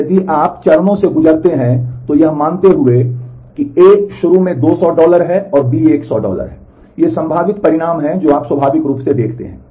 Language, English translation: Hindi, And if you go through the steps, assuming that A initially is 200 dollar and B is 100 dollar, these are the possible results that you see naturally